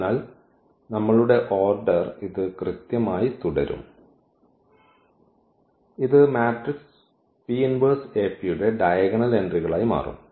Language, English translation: Malayalam, So, our order will remain exactly this one and this will become the diagonal entries of the matrix P inverse AP